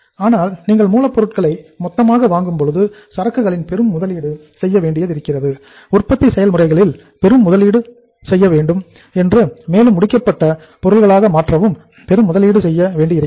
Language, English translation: Tamil, But when you acquire the raw material in bulk you have to invest huge in the inventory, invest huge in the manufacturing processes and invest huge in converting the finished products and taking it to the market